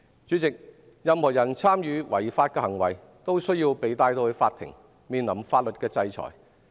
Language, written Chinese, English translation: Cantonese, 主席，任何人參與違法行為都需要被帶上法庭，面臨法律的制裁。, President anyone involved in illegal activities needs to be brought to court and face legal sanctions